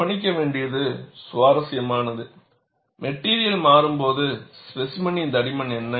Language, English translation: Tamil, And it is interesting to note, what is the thickness of the specimen when the material changes